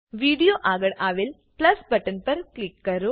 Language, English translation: Gujarati, Click on the PLUS button next to Video